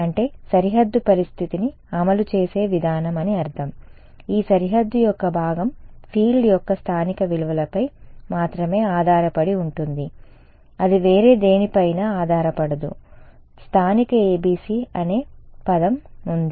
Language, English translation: Telugu, Means that the value of I mean the way I implement the boundary condition lets say this part of the boundary depends on only the local values of the field; it does not depend on anything else ok, the word itself there is local ABC